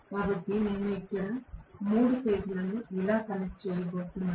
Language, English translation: Telugu, So, I am going to connect the 3 phases here like this